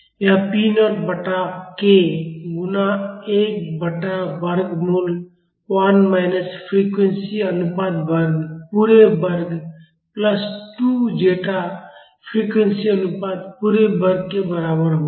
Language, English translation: Hindi, It will be equal to p naught by k multiplied by 1 by square root of 1 minus frequency ratio square, the whole square plus 2 zeta frequency ratio the whole square